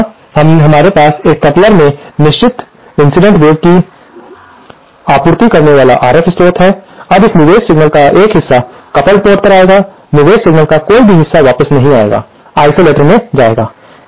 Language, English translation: Hindi, Now, here we have RF source supplying a certain incident wave to this coupler, now a part of this input signal will go to the coupled port, no part of the input signal will come back to the will go to the isolator